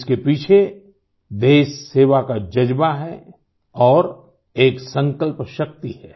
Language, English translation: Hindi, Behind it lies the spirit of service for the country, and power of resolve